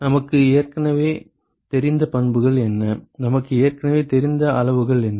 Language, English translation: Tamil, What are the properties that we know already, what are the quantities that we already know